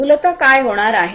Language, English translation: Marathi, Essentially, what is going to happen